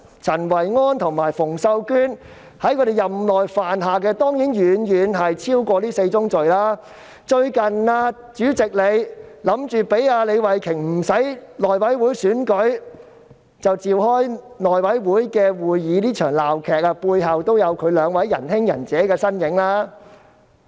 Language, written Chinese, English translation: Cantonese, 陳維安和馮秀娟二人在其任內犯下的當然遠遠超過這4宗罪，主席最近意圖讓李慧琼議員無須經內務委員會選舉而可自行召開內務委員會會議，這場鬧劇背後也有這兩位"仁兄"、"仁姐"的身影。, Of course Kenneth CHEN and Connie FUNG have committed far more than these four sins during their term of office . The President has recently intended to allow Ms Starry LEE to convene a House Committee meeting without first going through the election of the chairman of the House Committee . These two persons have also played a role in this farce